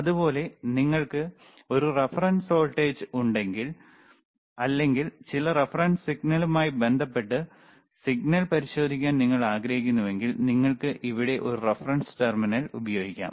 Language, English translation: Malayalam, Similarly, if you have a reference voltage, and you want to check that is the signal with respect to some reference signal, then you can use a reference terminal here,